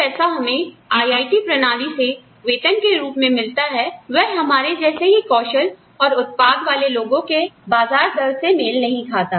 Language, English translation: Hindi, The amount of money, we get as salaries, through the IIT system, does not compare, with the market rate for people, with the same skill set, as ours, people with the same kind of output, as ours